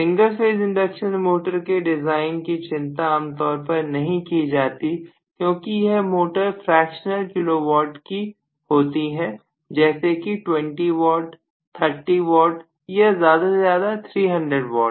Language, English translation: Hindi, But this single phase induction motor nobody cares about their design because they all actually work at fractional kilo watt maybe 20 watts, 30 watts, maybe at the most 300 watts